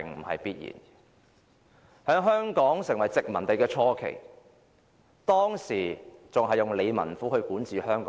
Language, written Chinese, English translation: Cantonese, 在香港成為殖民地的初期，港英政府透過理民府管治香港。, In the early days of Hong Kong as a colony the British Hong Kong administration ruled Hong Kong through various District Offices